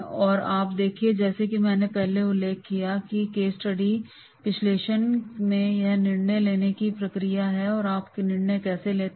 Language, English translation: Hindi, Now you see as I mentioned earlier that is in the case study analysis it is a decision making process